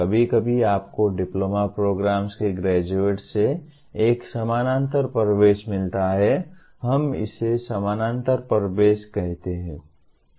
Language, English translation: Hindi, Occasionally you get a parallel entry from the graduates of diploma programs, we call it parallel entry